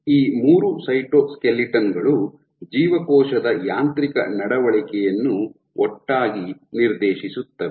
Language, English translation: Kannada, So, these three cytoskeletons collectively dictate the mechanical behavior of the cell